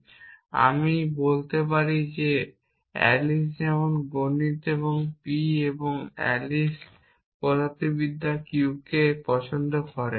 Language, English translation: Bengali, Then I can call the sentences p and q because Alice like math’s and Alice likes physics this I can call as m